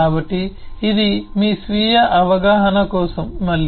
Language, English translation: Telugu, so this is again for your self understanding